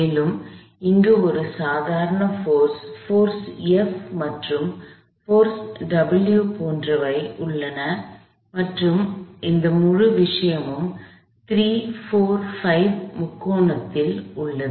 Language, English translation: Tamil, There is a normal force, there is this force F, there is a force W and this whole thing is on a 3, 4, 5 triangle